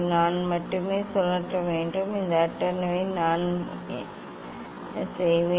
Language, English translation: Tamil, only I have to rotate the; this table what I will do